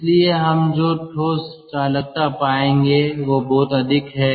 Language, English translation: Hindi, so what we will find the solid conductivity is very high